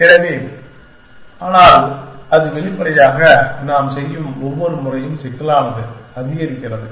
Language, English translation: Tamil, So, that is but obviously, every time we do that, the complexity increases